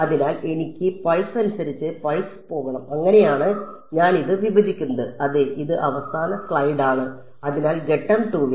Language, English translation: Malayalam, So, I have to go pulse by pulse that is how I split this up yeah this is the last slide yeah so in step 2